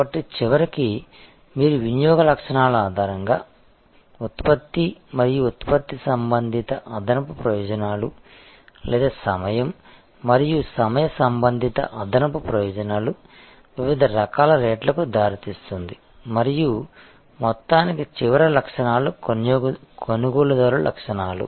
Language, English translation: Telugu, So, ultimately as you are seeing based on consumption characteristics product and product related additional benefits or time and time related additional benefits leads to different kinds of rates and ultimately the last characteristics is buyer characteristics